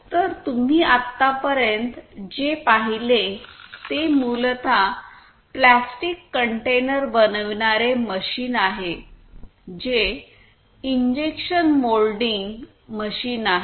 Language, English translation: Marathi, So, what you have just seen so far is basically a plastic container making machine which is an injection moulding machine